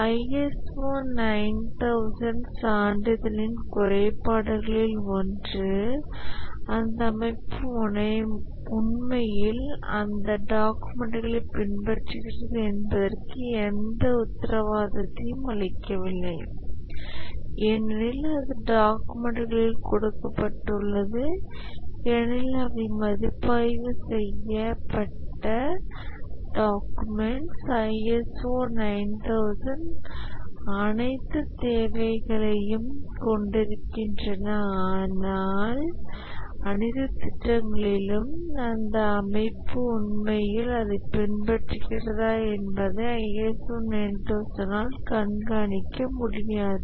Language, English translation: Tamil, But then one of the shortcoming of the ISO 9,000 certification is that it does not provide any guarantee that the organization actually follows those documents because it is given on the documents the documents are reviewed they are made to have all the requirements of the ISO 9,000 but whether the organization actually following that across all projects that is not monitored by ISO 9,001